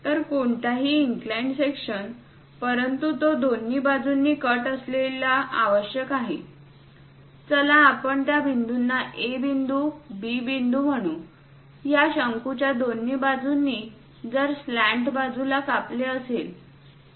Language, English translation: Marathi, So, any inclined section, but it has to cut on both the sides let us call A point, B point; on both sides of this cone if it is going to cut the slant once